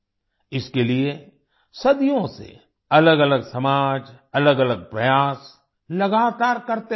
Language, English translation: Hindi, For this, different societies have madevarious efforts continuously for centuries